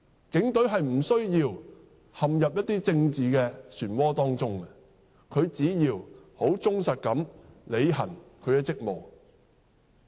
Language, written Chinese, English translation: Cantonese, 警隊並無需要陷入政治漩渦，只需忠實地履行職務便可。, It is unnecessary for the Police to be dragged into the political vortex . All they have to do is to discharge their duties faithfully